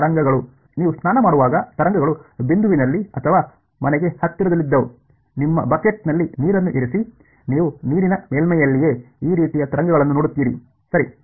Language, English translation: Kannada, Ripples; ripples were in the point or even closer to home in when you are have a bath, you put water in your bucket you see ripples like this right on the surface of the water right